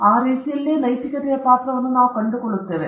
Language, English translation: Kannada, So, in that way there itself, we find a role of ethics